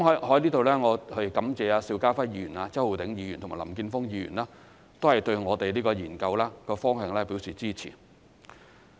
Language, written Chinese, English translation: Cantonese, 我在此感謝邵家輝議員、周浩鼎議員和林健鋒議員對這個研究方向表示支持。, I would like to express my gratitude to Mr SHIU Ka - fai Mr Holden CHOW and Mr Jeffrey LAM for their support of the direction of the study